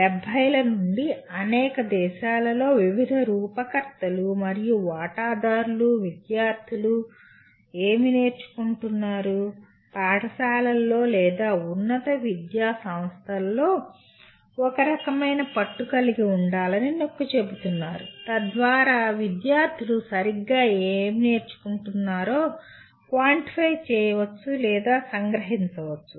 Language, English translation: Telugu, Policy makers and stakeholders in several countries since 1970s have been emphasizing to have a kind of a grip on what exactly are the students learning in schools or in higher education institutions so that one can kind of quantify or kind of summarize what exactly the students are learning